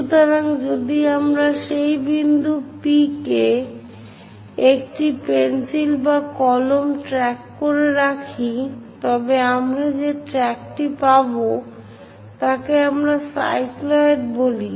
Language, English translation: Bengali, So, if we are tracking or keeping a pencil or pen on that point P whatever the track we are going to get that is what we call cycloid